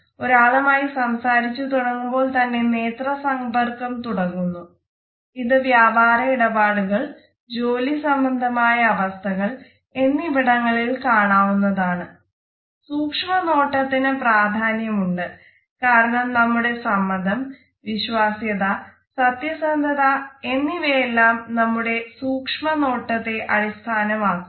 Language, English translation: Malayalam, The eye contact begins as soon as we interact with another person and therefore, you would find that in business transactions in professional situations, the gaze has a certain importance because our willingness as well as our honesty and trustworthiness and credibility would be partially decided on the basis of our eye contact